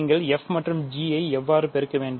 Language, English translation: Tamil, So, how do you multiply f and g